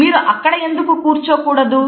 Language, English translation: Telugu, Why do not you sit there